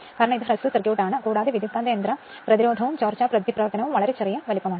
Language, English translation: Malayalam, Because it is short circuited, it is short circuited right and transformer resistance and leakage reactance is very very small size right